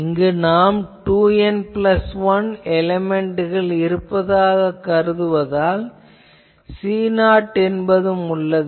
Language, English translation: Tamil, Here, we will see also we will have a C 0 because we are considering 2 N plus 1 element